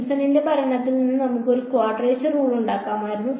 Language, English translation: Malayalam, We could as well have made a quadrature rule out of Simpson’s rule